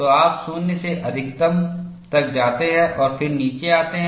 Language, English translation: Hindi, So, you go from 0 to maximum, and then come down